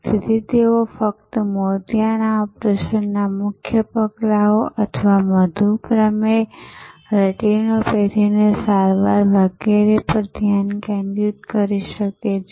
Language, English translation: Gujarati, So, that they can focus only on the core steps of the cataract operation or the treatment for diabetic retinopathy and so on